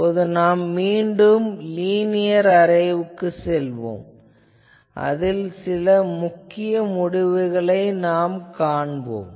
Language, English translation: Tamil, Now, we will again go back to the linear array, and we will see some interesting results